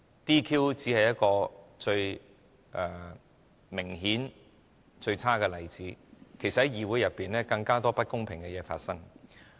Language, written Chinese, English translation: Cantonese, "DQ" 只是一個最明顯及最差的例子，其實在議會內有更多不公平的事情在發生。, DQ or the disqualification of Members is only a most obvious and the worst example . In this Council there are actually a lot more incidents of unfairness happening